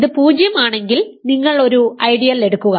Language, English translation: Malayalam, They are 0 ideal this corresponds to